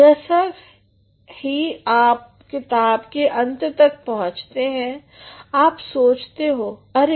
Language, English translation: Hindi, The moment you come to the end of the book you feel oh